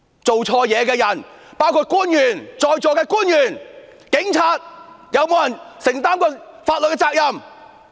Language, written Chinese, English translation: Cantonese, 做錯事的人包括在座的官員、警察，是否有人承擔過法律責任？, Have any wrongdoers including the officials present and the Police been held legally accountable?